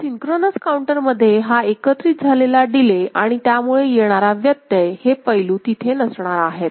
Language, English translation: Marathi, So, in the synchronous counter, this accumulated delay and resulting glitch, these aspects are not there ok